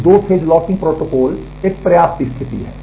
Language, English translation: Hindi, So, two phase locking protocol is kind of a sufficiency condition